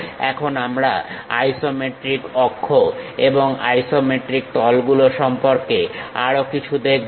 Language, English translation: Bengali, Now, we will look more about isometric axis and isometric planes